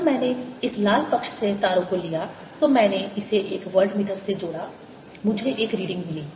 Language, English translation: Hindi, when i took the wires from this red side, i connected this to a voltmeter, i got one reading